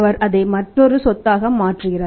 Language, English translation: Tamil, He is converting that into another asset